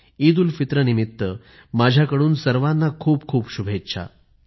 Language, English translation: Marathi, On the occasion of EidulFitr, my heartiest greetings to one and all